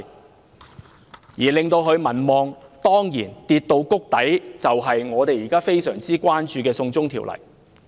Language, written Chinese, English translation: Cantonese, 當然，令其民望跌至谷底的正是我們現時非常關注的"送中條例"。, Certainly the trigger for her approval rating hitting rock bottom is the China extradition law about which we are most concerned now